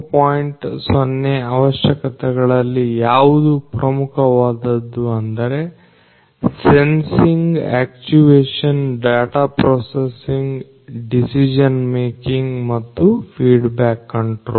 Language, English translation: Kannada, 0 requirements what is important is to have sensing actuation data processing decision making and feedback control